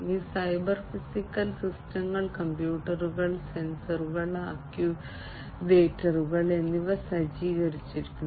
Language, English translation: Malayalam, And these cyber physical systems are equipped with computers, sensors, actuators, and so on